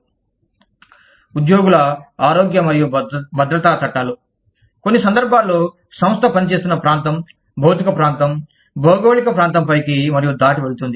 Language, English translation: Telugu, Employee health and safety laws, in some cases, are its go above and beyond the region, the physical region, geographical region, that the organization is operating in